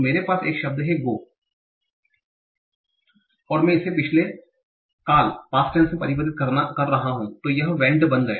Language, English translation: Hindi, So I have a word like go and I am converting into the past tense and it becomes vent